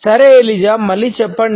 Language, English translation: Telugu, All right Eliza say it again